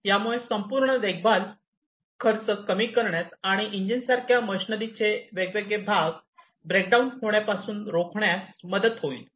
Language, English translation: Marathi, And that this will help in reducing the overall maintenance cost, and preventing different breakdown of different machinery parts, such as engines